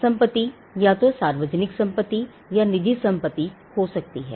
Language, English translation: Hindi, Property can be either public property or private property